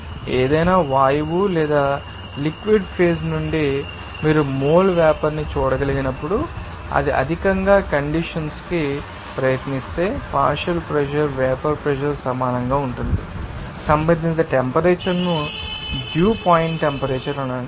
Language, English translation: Telugu, So, we can say that when a bar you know that any you know gas or you can see mole vapor from the liquid phase tries to you know condense it higher, the partial pressure will be equal to vapour pressure the respective temperature will be called as dew point temperature